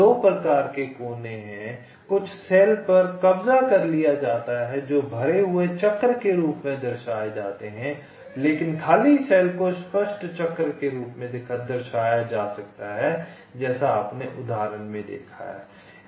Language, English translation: Hindi, some cells are occupied which are represented as filled circles, but the unoccupied cells can be represent as clear circles, as you shown example